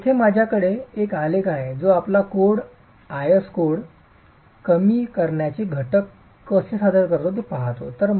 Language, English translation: Marathi, So, I have here a graph that looks at how our code, the IS code presents the reduction factors